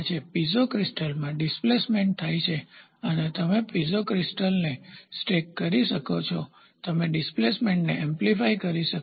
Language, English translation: Gujarati, So, here there is a, in Piezo crystal the displacement happens you can stack the Piezo crystal you can amplify the displacement